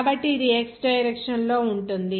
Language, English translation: Telugu, So, this will be your in the x direction